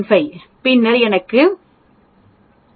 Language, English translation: Tamil, 5 then I will get 250